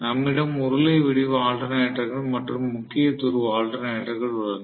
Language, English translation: Tamil, So, we have cylindrical pole alternators and salient pole alternators